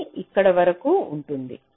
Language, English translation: Telugu, it will remain till here